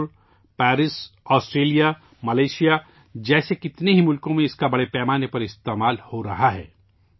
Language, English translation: Urdu, It is being used extensively in many countries like Singapore, Paris, Australia, Malaysia